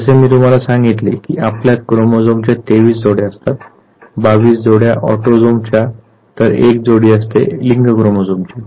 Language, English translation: Marathi, As I told you that we all have 23 pair of chromosomes, 22 pairs are autosomes and 1 is the sex chromosome